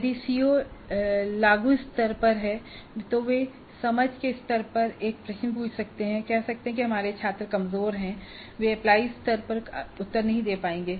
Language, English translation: Hindi, If the CO is at apply level, they may ask a question at understand level and say that our students are weaker students so they will not be able to answer at the apply level